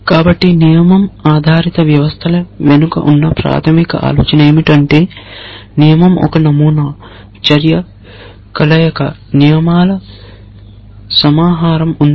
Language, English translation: Telugu, So, the basic idea behind rule based systems is this that a rule is a pattern, action, combination, there is a collection of rules